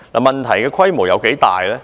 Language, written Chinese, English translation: Cantonese, 問題的規模有多大呢？, How large is the scale of the problem?